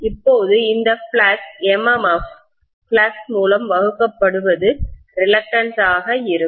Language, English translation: Tamil, Now this flux MMF divided by flux is going to be the reluctance, right